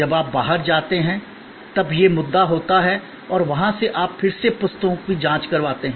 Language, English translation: Hindi, When you go out, then there is this issue and from there you again get the books checked